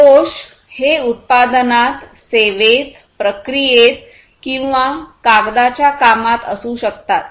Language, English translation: Marathi, Defects defects can be in the product, in the service, in the process or in the paper works